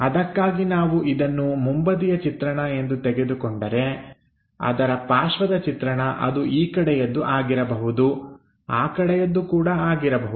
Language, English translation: Kannada, For that, if we are picking this one as the front view, the adjacent view it can be in this direction it can be in that direction also